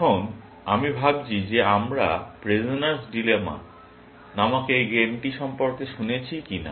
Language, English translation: Bengali, Now, I wonder if we have heard about this game called Prisoner's Dilemma